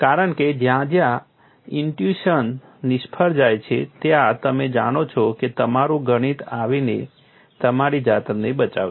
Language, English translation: Gujarati, Because wherever intuition fails, you know your mathematics has to come and rescue yourself